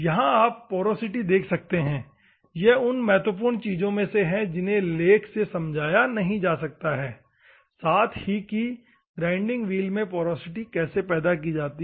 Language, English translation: Hindi, You can see the porosity here the most important thing normally the text which does not show is how the porosity will be generated in a grinding wheel